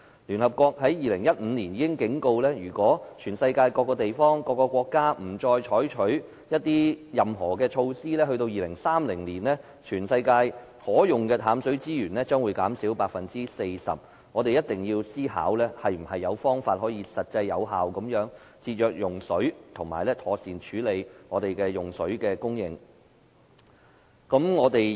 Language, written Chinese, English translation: Cantonese, 聯合國已於2015年作出警告，如果全球各地不採取任何措施，則到了2030年，全球可用的淡水資源將會減少 40%， 所以我們一定要想出能實際有效地節約用水的方法，並妥善處理水的供應。, The United Nations warned in 2015 that if no measures were taken by various places in the world by 2030 the freshwater resources available for use on earth would decrease 40 % . Therefore we must come up with a method that is practical and effective in water conservation and handle the issue of water supplies properly